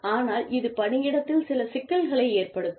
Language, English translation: Tamil, But, this can cause, some problems, in the workplace